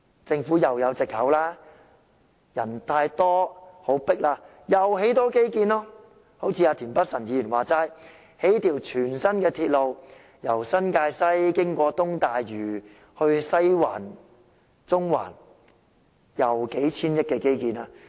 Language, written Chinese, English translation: Cantonese, 政府又可以有藉口了，人多擠迫的話，又可以推出多些基建，正如田北辰議員所說，興建一條全新的鐵路，由新界西經東大嶼往西環和中環，是數千億元的基建。, The Government will then be given the excuse of over - crowdedness to launch more infrastructure projects . Precisely as Mr Michael TIEN has suggested a new railway running from New Territories West to Western District and Central via East Lantau Island can be constructed which is an infrastructure project valued at hundreds of billion dollars